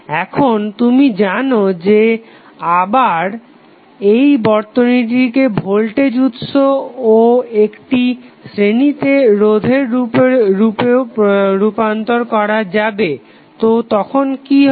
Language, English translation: Bengali, Now, you know you can again transform the circuit back into voltage and one resistance in series so what will happen